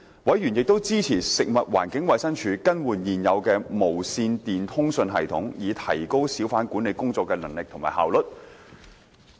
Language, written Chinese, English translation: Cantonese, 委員亦支持食物環境衞生署更換現有的無線電通訊系統，以提高小販管理工作的能力和效率。, Members also supported the Food and Environmental Hygiene Departments replacement of the existing radio communications system in order to strengthen the capability and efficiency of its hawker management work